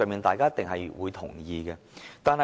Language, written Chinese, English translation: Cantonese, 大家一定會同意這些方向。, All of us will definitely agree to such a direction